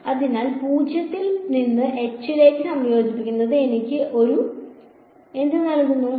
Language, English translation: Malayalam, So, integrating from 0 to h will simply give me a